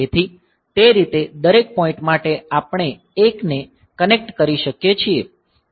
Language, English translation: Gujarati, So, that way for every point we can connect 1